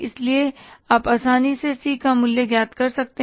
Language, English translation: Hindi, So, you can easily find out the value of C